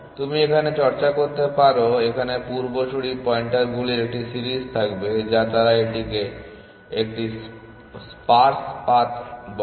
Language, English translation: Bengali, You can workout it would have a series of ancestor pointers which they call it as a sparse path